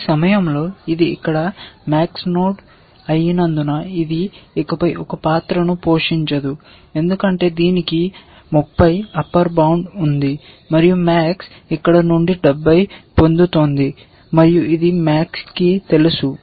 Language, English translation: Telugu, At this point, observe that because this is a max node here, this is never going to play a role any further because it has an upper bound of 30, and max is getting 70 from here, max knows it is getting 70 from here